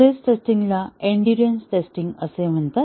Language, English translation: Marathi, The stress testing is also called as endurance testing